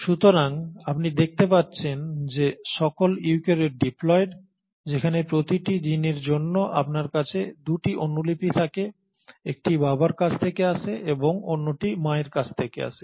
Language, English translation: Bengali, So you find that all the eukaryotes are diploid for every gene you have 2 copies one coming from the father and the other coming from the mother